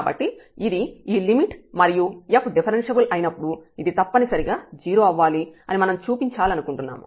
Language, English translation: Telugu, So, this is this limit which we want to show that if f is differentiable this must be equal to 0